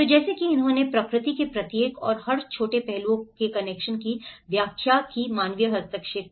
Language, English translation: Hindi, So, like that he did explain the connections of each and every small aspect of nature and the human interventions